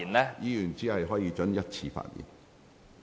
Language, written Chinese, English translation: Cantonese, 委員只可發言一次。, Each Member can only speak once